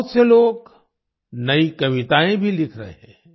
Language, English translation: Hindi, Many people are also writing new poems